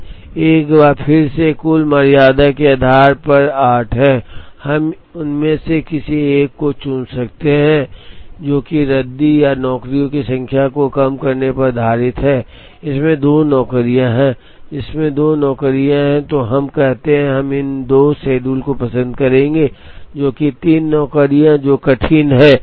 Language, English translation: Hindi, Once again based on total tardiness is 8, we could choose any one of them based on minimizing the number of tardy jobs, this has 2 jobs this has 2 jobs, so let us say, we would prefer these 2 schedules to this, which has 3 jobs, which are tardy